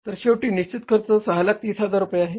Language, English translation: Marathi, So, finally, this is the fixed cost, 6,30,000